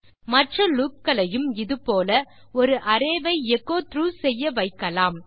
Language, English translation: Tamil, You can use other loops to echo through an array